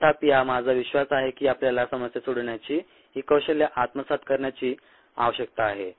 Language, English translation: Marathi, however, i believe that you need to pick up these skills of problem solving